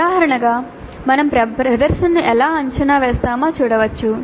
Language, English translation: Telugu, As an example, we can look at how we evaluate the presentation